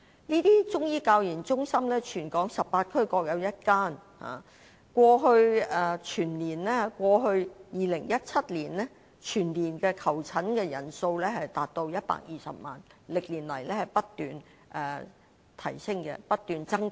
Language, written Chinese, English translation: Cantonese, 這些中醫教研中心在全港18區各有1間，在2017年，全年的求診人數達至120萬，歷年來不斷增加。, There is one CMCTR in each of the 18 districts . In 2017 the number of patients reached 1.2 million and is growing year on year